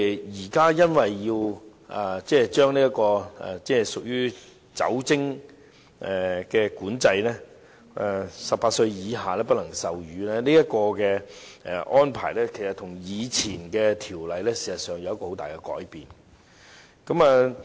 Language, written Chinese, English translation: Cantonese, 現在因為要進行酒精管制，不能售賣酒精飲品予18歲以下人士，這個安排其實跟以前的條例有很大的改變。, The Government now wishes to implement liquor control prohibiting the sale of alcoholic beverages to people under 18 and this practice will be dramatically different from the existing practice under the ordinance